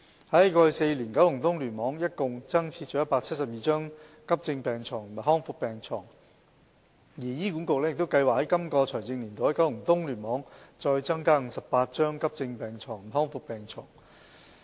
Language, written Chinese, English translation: Cantonese, 在過去4年，九龍東聯網一共增設了172張急症病床和康復病床，而醫管局亦計劃在今個財政年度在九龍東聯網再增加58張急症病床和康復病床。, In the past four years KEC provided 172 additional acute beds and rehabilitation beds in total . On the other hand HA has also planned to provide 58 additional acute beds and rehabilitation beds in KEC in this fiscal year